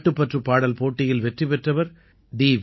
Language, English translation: Tamil, The winner of the patriotic song competition, T